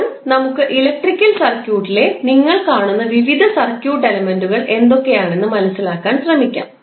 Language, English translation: Malayalam, Now, let us try to understand, what are the various circuit elements in the electrical circuit you will see